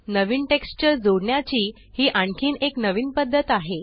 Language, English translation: Marathi, So this is another way to add a new texture